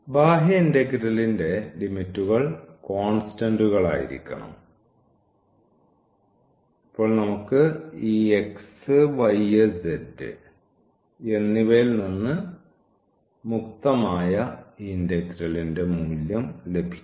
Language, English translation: Malayalam, So, these limits can be the function of z and the outer one then that has to be the constant limits for z and now we will get a value of this integral which is free from this x y and z